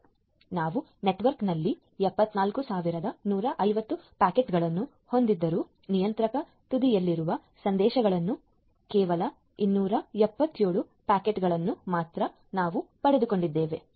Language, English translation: Kannada, So, although we have 74150 packets in the network, but we have got only 277 packet in messages at the contravariant